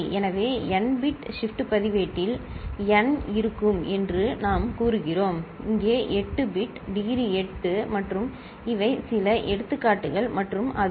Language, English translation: Tamil, So, for n bit shift register with the degree we say will be of n; 8 bit here the degree is 8 and these are some examples and if it is x8 x7 and x1, ok